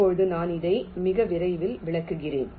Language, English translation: Tamil, this i shall be illustrating very shortly